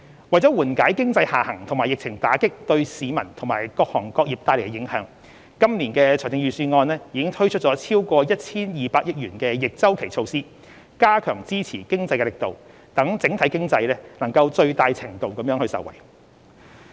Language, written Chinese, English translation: Cantonese, 為緩解經濟下行及疫情打擊對市民及各行各業帶來的影響，今年的財政預算案已推出超過 1,200 億元的逆周期措施，加強支持經濟的力度，讓整體經濟能在最大程度上受惠。, In order to provide relief from the impact of the economic downturn and the pandemic to the public and various businesses counter - cyclical measures totalling over 120 billion have been announced in this years Budget . It is hoped that these measures could strengthen the support to the economic development and hence benefit the overall economy as much as possible